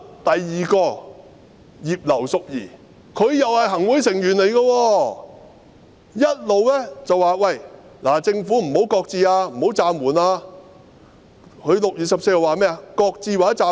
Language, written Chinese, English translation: Cantonese, 第二個是葉劉淑儀議員，她也是行會成員，一直叫政府不要擱置或暫緩，她在6月14日說甚麼？, Next comes Mrs Regina IP who is also a Member of the Executive Council . She kept telling the Government not to shelve or suspend the amendment . What did she say on 14 June?